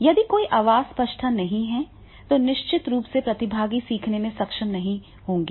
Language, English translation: Hindi, So, therefore in that case, if there is not a proper voice clarity, then definitely participants will not be able to learn